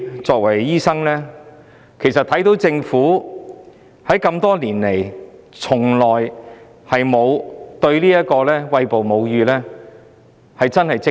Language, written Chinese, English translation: Cantonese, 作為醫生，我認為政府多年來從沒有積極處理歧視餵哺母乳的問題。, As a doctor I think the Government has never proactively tackled the problem of breastfeeding discrimination over the years